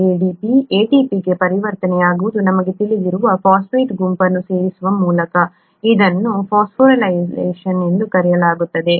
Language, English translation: Kannada, ADP getting converted to ATP we know is by addition of a phosphate group, it is called phosphorylation